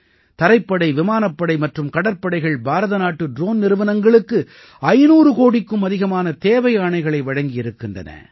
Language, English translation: Tamil, The Army, Navy and Air Force have also placed orders worth more than Rs 500 crores with the Indian drone companies